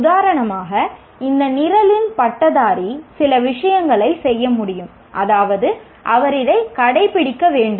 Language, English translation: Tamil, For example, a graduate of this program should be able to do a few things